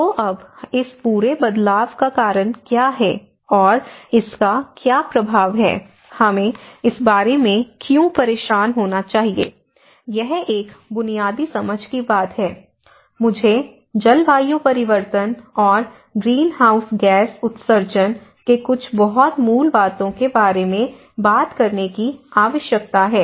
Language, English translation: Hindi, So now, how this whole change is caused and what is the impact, why we should bother about this; this is one thing from a basic understanding, I need to talk about some very basics of the climate change and the greenhouse gas emissions